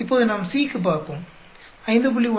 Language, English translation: Tamil, Now, let us look for C, 5